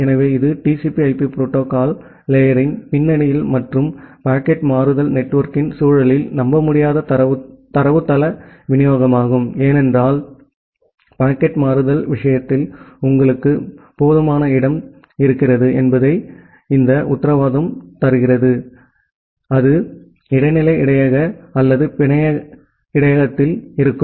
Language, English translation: Tamil, So, this is a kind of unreliable datagram delivery in the context of TCP/IP protocol stack and for the context of packet switching network, because as we have learned earlier that in case of packet switching, there is no guarantee that you have sufficient space, that will be there in the intermediate buffer or the network buffer